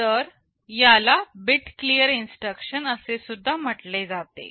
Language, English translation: Marathi, So, this is also called a bit clear instruction